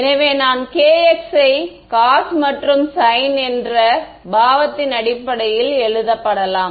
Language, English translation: Tamil, So, I can also write down kx can be written in terms of cos and sin